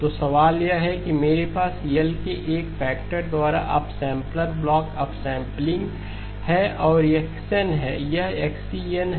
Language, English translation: Hindi, So the question is I have the upsampler block, upsampling by a factor of L and this is x of n, this is xE of n